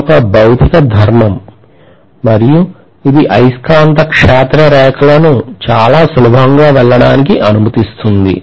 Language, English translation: Telugu, It is a material property and it is going to allow the magnetic field lines to pass through them very easily